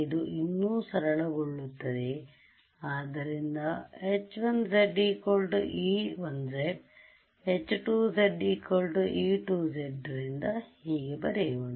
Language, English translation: Kannada, So, I can call this simply e 1 z h 2 z is the same as e 2 z